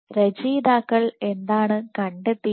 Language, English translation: Malayalam, So, what the authors found